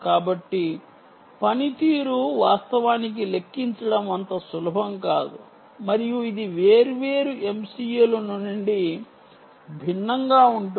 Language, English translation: Telugu, so performance is not so easy to actually quantify and this will differ from different m c u s